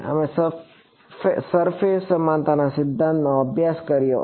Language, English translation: Gujarati, We studied surface equivalence principle and